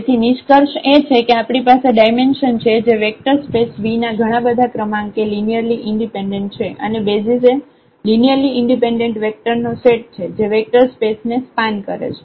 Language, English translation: Gujarati, So, the conclusion is that we have the dimension which is the maximum number of linearly independent vectors in a vector space V and the basis is a set of linearly independent vectors that span the vector space